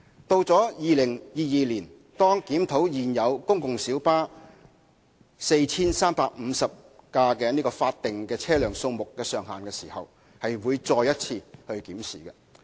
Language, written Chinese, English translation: Cantonese, 到2022年，當檢討現有公共小巴 4,350 輛法定車輛數目上限時，亦會再作一次檢視。, When the authorities review the statutory cap of 4 350 PLBs in 2022 the maximum seating capacity will also be reviewed